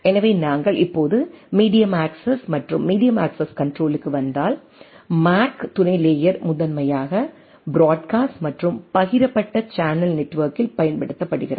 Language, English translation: Tamil, So, if we now come to the medium access and medium access control, so MAC sub layer is primarily used in broadcast and shared channel network